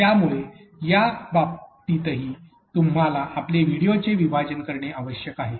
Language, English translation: Marathi, So, in this cases also you also need to chunk your videos